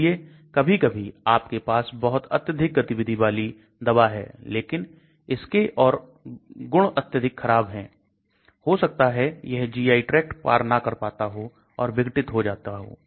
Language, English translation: Hindi, So sometimes you will have a very active drug, but it will have very poor properties may be it does not cross the GI tract or may be it gets degraded